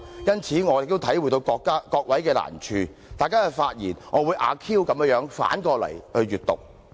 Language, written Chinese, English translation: Cantonese, 因此，我也能體諒各位的難處，大家的發言，我會"阿 Q" 地反過來聽的。, Therefore I also appreciate their difficulties so I will listen to your speeches in the spirit of Ah Q and take them to mean the contrary